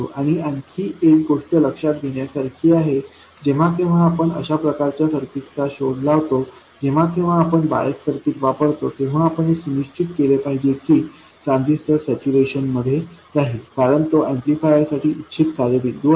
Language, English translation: Marathi, And also another thing to look at is whenever we invent a circuit like this, whenever we come up with a bias circuit, we have to make sure that the transistor remains in saturation because that is the desired operating point for an amplifier